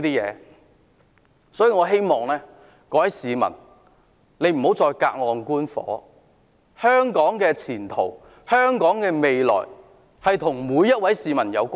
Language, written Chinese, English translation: Cantonese, 因此，我希望各位市民不要再隔岸觀火，香港的前途和未來與每一位市民有關。, For this reason I hope members of the public will no longer sit on the fence . The way forward and future of Hong Kong are closely related to each and every member of the public